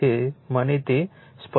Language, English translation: Gujarati, Let me clear it